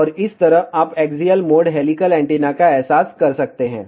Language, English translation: Hindi, And this way, you can realize the axial mode helical antenna